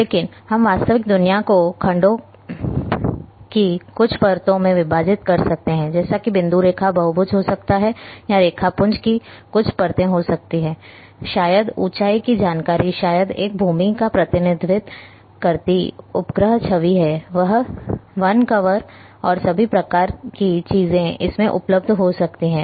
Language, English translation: Hindi, But we can segment the real world into maybe some layers of vectors might be having point line, polygons or may be some layers of raster maybe elevation information maybe a satellite image representing the land use, forest cover and all kinds of things are there